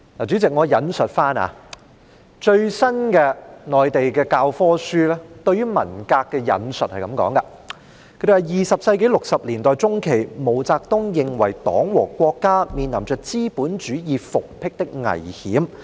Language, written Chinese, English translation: Cantonese, 主席，我引述內地最新的教科書對於文革的說法，當中是這樣說的 ：20 世紀60年代中期，毛澤東認為黨和國家面臨着資本主義復辟的危險。, Chairman I would like to cite the views on the Cultural Revolution from the latest textbooks in the Mainland and this is what is said in them In mid - 1960s during the 20century MAO Zedong held that the Party and the State faced the danger of the restoration of capitalism